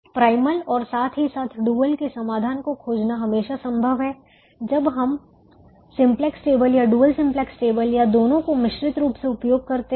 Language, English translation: Hindi, it is always possible to find the solution of the primal as well as a solution of the dual when we do either the simplex table or the dual simplex table or a combination